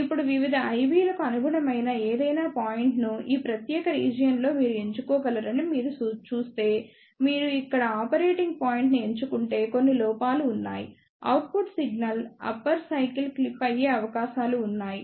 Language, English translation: Telugu, Now, if you see one can choose any point corresponding to various IB's in this particular region, but there are few drawbacks like if you select the operating point over here, there are chances that the output signal upper cycle may get clipped